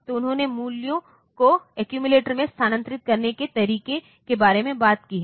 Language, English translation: Hindi, So, they talked about how to move values to the accumulator